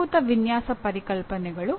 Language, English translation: Kannada, That is what fundamental design concepts